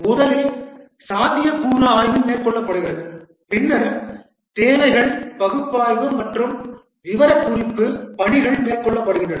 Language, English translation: Tamil, First the feasibility study is undertaken, then requirements analysis and specification work is undertaken